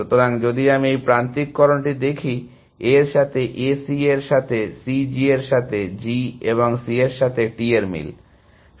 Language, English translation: Bengali, So, if this I look at this alignment, matching A with A, C with C, G with G and T with C